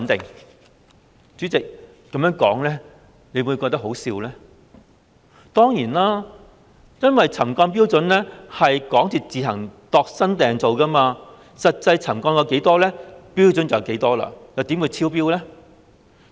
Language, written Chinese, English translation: Cantonese, 代理主席，此說法真的可笑，因為沉降標準由港鐵公司自行"度身訂造"，實際沉降了多少，標準就會是多少，又怎會超標呢？, Deputy President such remarks are indeed ridiculous because the trigger level is tailor - made by MTRCL itself . The level will be set according to the actual settlement level . How will there be any exceedance then?